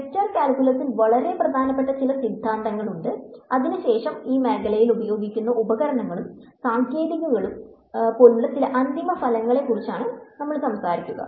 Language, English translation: Malayalam, There are some very important theorems in vector calculus that we will talk about and then some of the corollaries which are like the tools and techniques used in this area